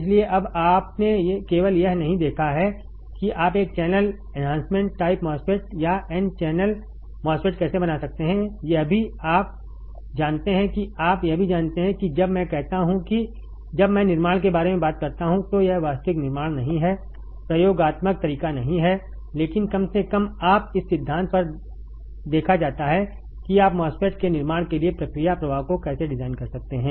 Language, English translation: Hindi, So, now you have not only seen that how you can fabricate a n channel enhancement type MOSFET or n channel MOSFET you also know you also know when I says when I talk about fabrication, it is not actual fabrication not experimental way, but at least you are seen on theory that how you can design the process flow for fabricating a MOSFET